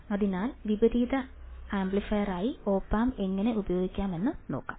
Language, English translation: Malayalam, So, Let us see how op amp can be used as a non inverting amplifier